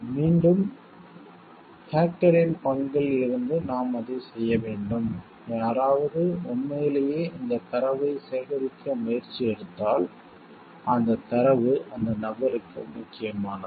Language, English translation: Tamil, And again from the hacker s part like should we be doing it, when somebody has really taken effort to collect this data and that data is that information is important to that person